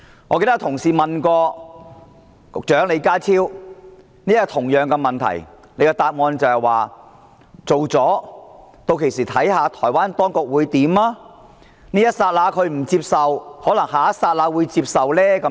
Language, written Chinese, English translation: Cantonese, 我記得有同事問過李家超局長同一項問題，他答說通過《條例草案》後，屆時要看看台灣當局會怎樣做，這一剎那不接受，可能下一剎那會接受。, I remember that a Member asked Secretary John LEE the same question . The Secretary said that after passage of the Bill it would depend on what the Taiwanese authorities would do . Although they might not accept the Bill at this juncture they might at the next